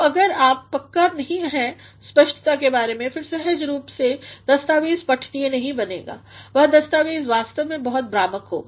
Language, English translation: Hindi, So, if you are not sure of the clarity, then naturally the document will not become readable, the document will actually be very confusing